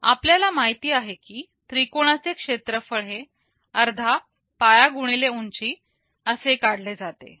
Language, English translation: Marathi, We know that the area of a triangle is defined as half base into height